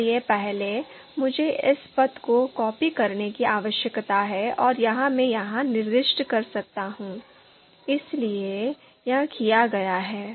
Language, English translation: Hindi, So first, I need to copy this path and this I can you know specify here, so this is done